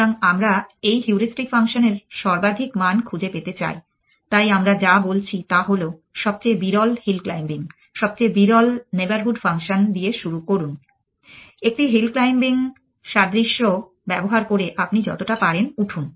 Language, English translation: Bengali, So, we want to find the maximum value of this heuristic function, so what we are saying is it start with the most sparse hill claiming most sparse neighborhood function claim us as claim up as much as you can, using a hill claiming analogy